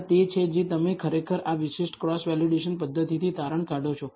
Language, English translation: Gujarati, That is what you actually conclude from this particular cross validation mechanism